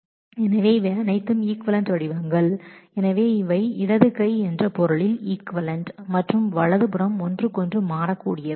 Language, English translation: Tamil, So, these are all equivalent forms so, these are equivalent in the sense that left hand side and right hand side are interchangeable